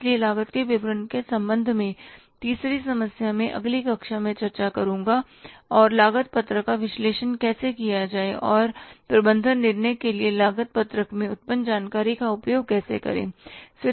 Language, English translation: Hindi, So the third problem with regard to the statement of the cost, I will discuss in the next class along with how to analyze the cost sheet and use that information generated in the cost sheet for the management decision making